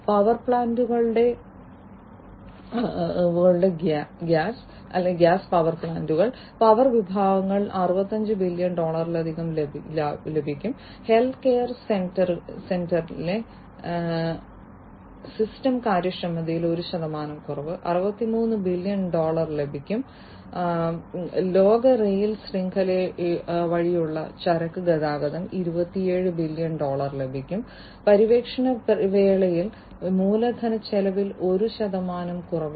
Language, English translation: Malayalam, Gas and power segment of power plants will also save over 65 billion dollars 1 percent reduction in system inefficiency in healthcare center will save 63 billion dollar, freight transportation through world rail network will also save 27 billion dollar, one percent reduction in capital expenditure during exploration and development in oil and gas industries will save 90 billion dollar